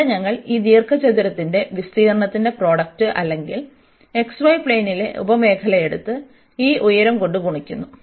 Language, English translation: Malayalam, And there we take this product of the area of this rectangle or the sub region in the x, y plane and multiplied by this height